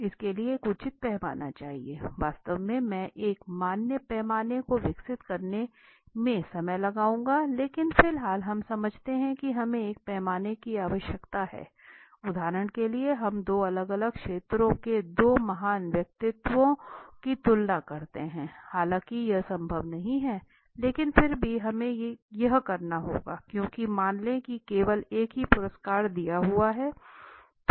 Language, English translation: Hindi, So you need have a proper scale for it in fact I will spend time on developing a scale validating a scale and all these things later on but for the moment let us understand there we need a scale if we were to compare for example let us say two great personalities from two different fields although it is not possible but still we have to do it because let us say there is only one price to be given